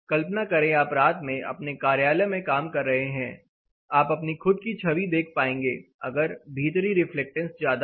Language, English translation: Hindi, Imagine, you are working in an office in a night time, you will be seeing your own images if the inside reflections are higher